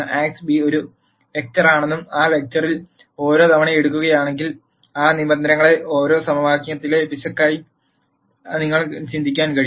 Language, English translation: Malayalam, Notice that Ax minus b is a vector and if you take each term in that vector you can think of each of those terms as an error in an equation